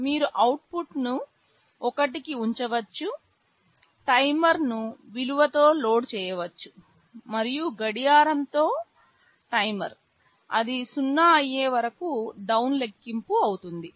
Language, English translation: Telugu, You can put the output to 1, load the timer with a value, and with a clock the timer will be down counting, you wait till it goes 0